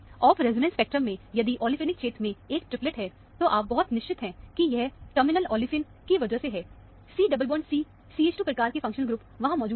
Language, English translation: Hindi, In the off resonance spectrum, if there is a triplet in the olefinic region, you can be very sure that, it is because of a terminal olefine, with the C double bond CH 2 kind of a functional group being present there